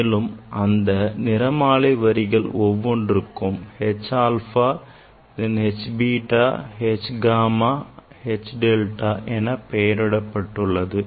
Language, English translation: Tamil, And the name was given of these spectral lines like H alpha then H beta, H gamma, H delta